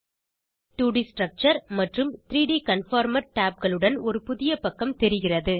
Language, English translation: Tamil, A new web page with 2D Structure and 3D Conformer tabs, is seen